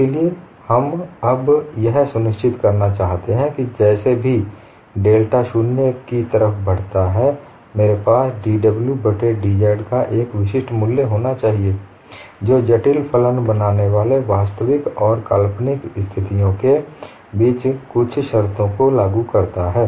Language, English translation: Hindi, Now what we want to ensure is whichever way delta z approaches 0I, must have a unique value of dw by dz which enforces certain conditions, between the real and imaginary part forming the complex function